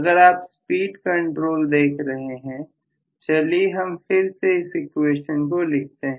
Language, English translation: Hindi, So if you are actually looking at the speed control, let me write this equation once again